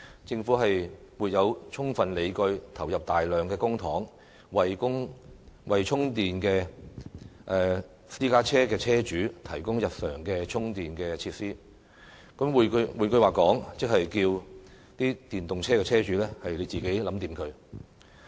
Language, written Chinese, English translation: Cantonese, 政府沒有充分理據投入大量公帑，為電動私家車車主提供日常充電設施"。換句話說，即要求電動車車主自行解決問題。, The Government also sees insufficient justifications for spending large amount of public money to provide e - PC owners with public charging facilities In other words EV owners have to solve the problem on their own